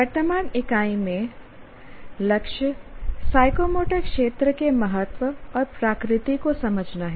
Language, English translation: Hindi, Now, in the current unit, the goal is to understand the importance and nature of psychomotor domain